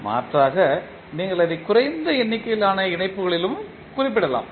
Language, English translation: Tamil, Alternatively, you can also represent it in less number of connections